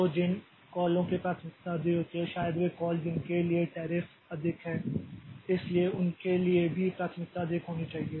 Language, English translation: Hindi, So, calls which are of higher priority may be the calls for which the tariffs are higher